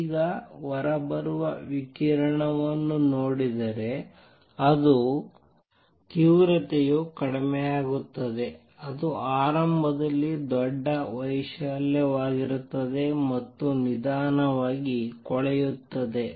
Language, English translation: Kannada, Now the intensity comes down if you look at the radiation coming out it would be large amplitude in the beginning and slowly decays